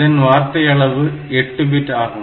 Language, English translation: Tamil, So, it will be in terms of 8 bits